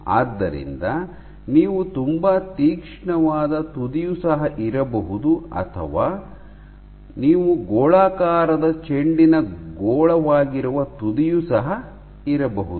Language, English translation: Kannada, You can have a very sharp tip or you can have the tip is nothing but a spherical ball sphere ok